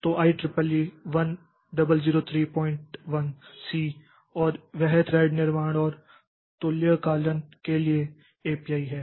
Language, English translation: Hindi, 1C and that is an API for thread creation and synchronization